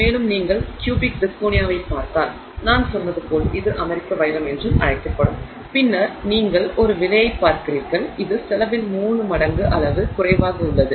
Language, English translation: Tamil, And if you look at the cubic zirconia, which is also called the American diamond as I said, then you are looking at a price which is three orders of magnitude less in cost